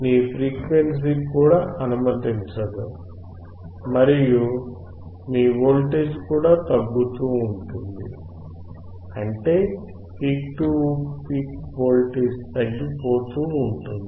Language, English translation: Telugu, Your frequency is also not allowing and your voltage is also getting smaller and smaller; that means, your peak to peak voltage is getting changed